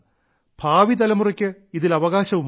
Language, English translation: Malayalam, and future generations also have a right to it